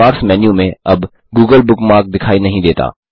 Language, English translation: Hindi, * The google bookmark is no longer visible in the Bookmark menu